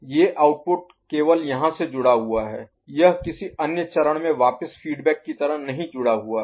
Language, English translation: Hindi, These output is only linked here, it is not fed back to any other stage right